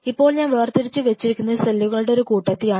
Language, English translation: Malayalam, Now for example, it is a mass of cells which I have isolated